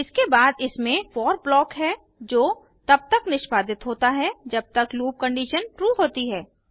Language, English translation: Hindi, Then it has the for block which keeps on executing till the loop condition is true